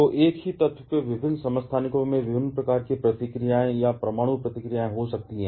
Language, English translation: Hindi, So, different isotopes of the same element may have different kind of reactions or response to nuclear reactions